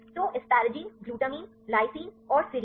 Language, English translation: Hindi, So, asparagine, glutamine lysine and serine